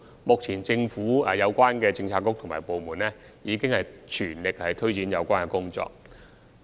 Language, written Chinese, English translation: Cantonese, 目前，政府的相關政策局及部門已全力推展有關的工作。, At present the relevant bureaux and departments of the Government are making every effort to carry out the relevant work